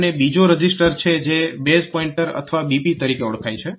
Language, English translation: Gujarati, And there is another register which is known as the base pointer or BP